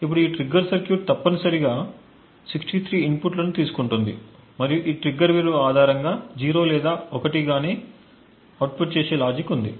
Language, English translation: Telugu, Now this trigger circuit essentially takes 63 inputs and based on the value of this trigger there is a logic which outputs either 0 or 1